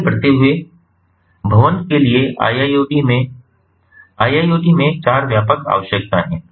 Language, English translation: Hindi, moving ahead, iiot: for building iiot, there are four broad requirements